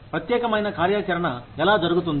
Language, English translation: Telugu, How particular activity is done